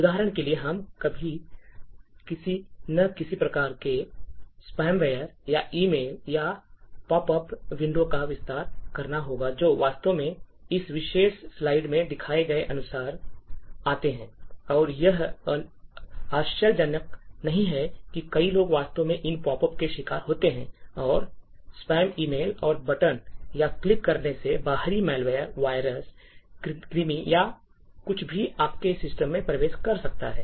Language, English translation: Hindi, For example, all of us would have got some form of spam ware or expand emails or pop up windows that actually come up like as shown in this particular a slide and it is not surprising that many people actually fall prey to these pop ups and spam emails and would click on the buttons, pressing here as a result of this, it could trigger an external malware, virus or worm or anything to enter into your system